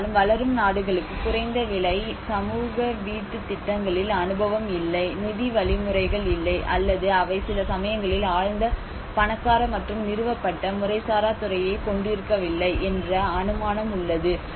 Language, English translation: Tamil, Often assuming that developing countries have no experience in low cost social housing schemes, no finance mechanisms, nor they do sometimes possess a profoundly rich and established informal sector